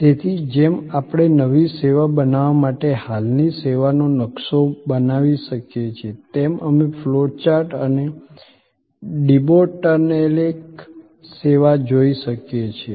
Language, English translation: Gujarati, So, just as we can map an existing service to create a new service, we can look at the flow chart and debottleneck service